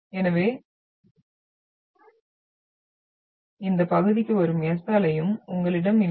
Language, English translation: Tamil, So you are not having any S wave which is coming into this area